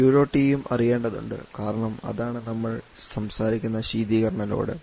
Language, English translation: Malayalam, And Q dot E also has to be known because that is the refrigerant load that you are talking about